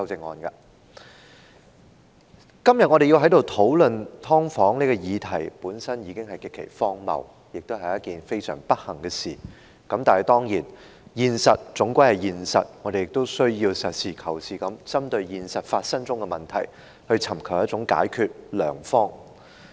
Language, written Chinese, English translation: Cantonese, 我們今天在此討論"劏房"的議題，本身已經極其荒謬，亦是非常不幸的事，但現實終究是現實，我們須要實事求是地針對現實中發生的問題，尋求解決良方。, That we are here discussing the issue of subdivided units today is in itself extremely absurd and most unfortunate . But reality is after all reality . We must practically target the problems in reality and identify satisfactory solutions to them